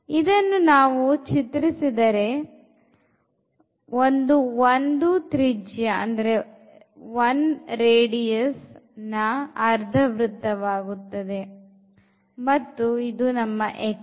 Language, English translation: Kannada, So, if you draw the region here that will be this half circle with radius 1 and then we have here the x axis